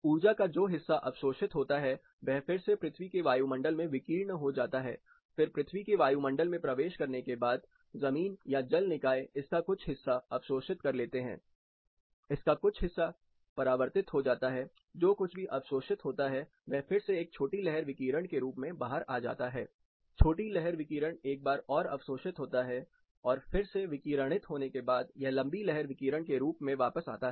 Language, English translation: Hindi, Once the sun’s energy hits earth’s atmosphere, part of it is reflected back, absorbed and transmitted, whatever component is observed, it is re radiated, then after entering the earth’s atmosphere, the ground absorption or water bodies observe and reflect part of it, whatever is absorbed is re emitted, what comes in a short wave radiation, once it is absorbed and then re radiated, it goes back as long wave radiation